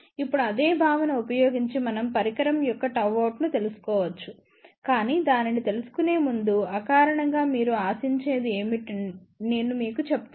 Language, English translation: Telugu, Now, by using the same concept, we can find out gamma out of the device also, but before we look into that I will just tell you intuitively what you should expect